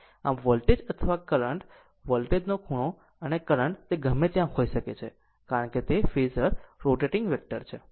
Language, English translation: Gujarati, So, voltage or current right, the angle of the voltage and current it can be in anywhere, because phasor is rotating vector